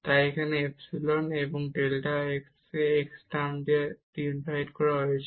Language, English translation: Bengali, So, this is our epsilon 1 delta x plus this epsilon 2 delta y